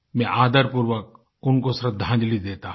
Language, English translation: Hindi, I most respectfully pay my tributes to her